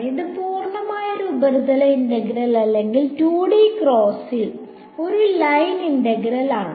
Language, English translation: Malayalam, It is purely a surface integral or in the 2D case a line integral